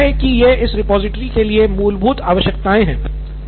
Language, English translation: Hindi, I think these are the basic requirements for this repository